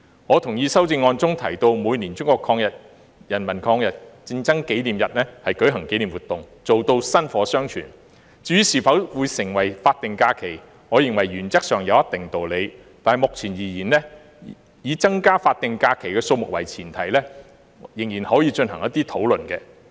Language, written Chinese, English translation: Cantonese, 我同意修正案中提到在每年中國人民抗日戰爭勝利紀念日舉行紀念活動，做到薪火相傳，至於是否要定為法定假期，我認為原則上有一定道理，但目前而言，以增加法定假期的數目為前提仍然可以進行討論。, I agree that commemorative activities should be organized on the Victory Day of the Chinese Peoples War of Resistance against Japanese Aggression every year as proposed in the amendment so as to pass on the torch of patriotism . As for whether it should be designated as a statutory holiday although I think the proposal does have some merit further discussion can still be held on increasing the number of statutory holidays